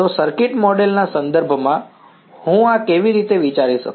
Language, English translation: Gujarati, So, in terms of a circuit model, how can I think of this